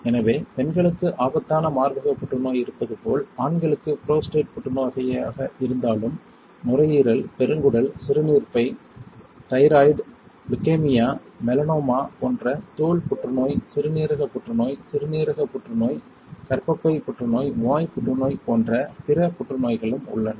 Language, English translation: Tamil, So, as dangerous breast cancer is there for women, for men it is prostate cancer alright and then there are other cancers like lung, colon, urinary bladder, thyroid, leukaemia, melanoma which is skin cancer, kidney cancer, renal cancer it is a uterine corpus right, cervical cancer and many more ok